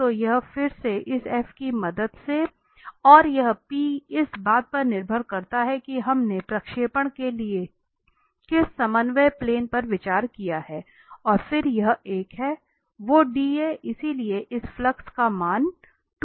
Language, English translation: Hindi, So, this again with the help of this f and this p which depends on which coordinate plane we have taken considered for the projection and then this is one that was a dA, so the value is 2 of this flux